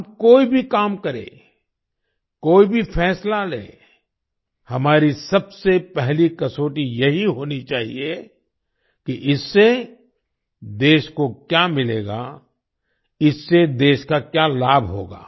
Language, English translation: Hindi, Whatever work we do, whatever decision we make, our first criterion should be… what the country will get from it; what benefit it will bring to the country